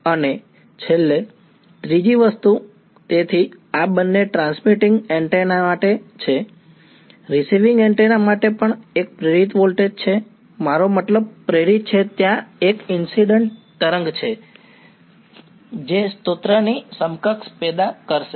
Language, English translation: Gujarati, And finally, the third thing so, these are both for a transmitting antenna, for a receiving antenna also there is an induced voltage I mean induced there is a incident wave that will produce an equivalent of a source